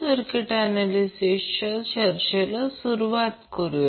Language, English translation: Marathi, So let us start the discussion of the circuit analysis